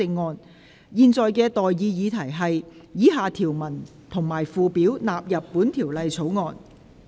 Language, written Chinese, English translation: Cantonese, 我現在向各位提出的待議議題是：以下條文及附表納入本條例草案。, I now propose the question to you and that is That the following clauses and schedules stand part of the Bill